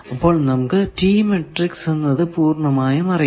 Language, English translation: Malayalam, Now, come to the T matrix